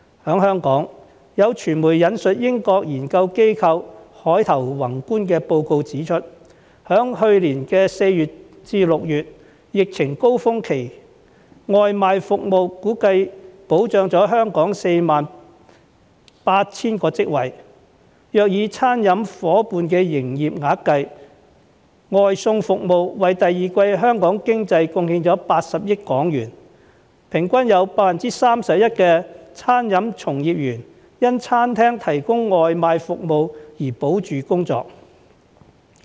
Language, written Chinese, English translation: Cantonese, 在香港，有傳媒引述英國研究機構凱投宏觀的報告指出，在去年4月至6月的疫情高峰期，外賣服務估計保障了香港約 48,000 個職位，若以餐廳夥伴的營業額計，外送服務為第二季香港經濟貢獻了80億港元，平均有 31% 的餐飲從業員因餐廳提供外賣服務而保住工作。, In Hong Kong the media quoted a report published by a British research consultancy Capital Economics as pointing out that some 48 000 jobs in Hong Kong had been preserved during the pandemic peak from April to June last year because of takeaway delivery services; and in terms of business turnover of the restaurant partners takeaway delivery services had contributed HK8 billion to our economy in the second quarter and the jobs of an average of 31 % of the restaurant workers were preserved because these restaurants had provided takeaway services . The development of the gig economy is playing an increasingly important role in Hong Kong